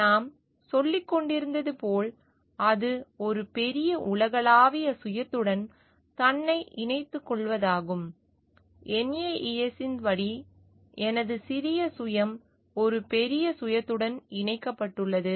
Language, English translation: Tamil, As we were telling it is a connectivity of oneself with the greater universal self; where my small shelf is connected with a bigger self as per Naess